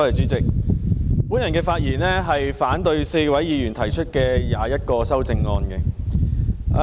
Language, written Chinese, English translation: Cantonese, 主席，我發言反對4位議員提出的共21項修正案。, Chairman I speak in opposition to all the 21 amendments proposed by four Members